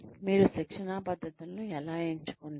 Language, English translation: Telugu, How do you select, training methods